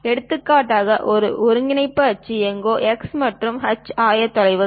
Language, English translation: Tamil, For example, this is the coordinate axis, somewhere x and h coordinates